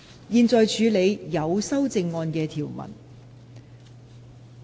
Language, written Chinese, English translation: Cantonese, 現在處理有修正案的條文。, I now deal with the clauses with amendments